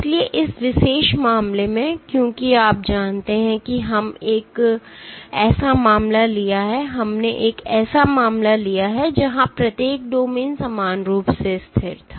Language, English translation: Hindi, So, in this particular case because you know we took a case where each domain was equally stable